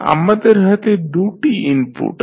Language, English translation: Bengali, Here we have 2 input and 2 output system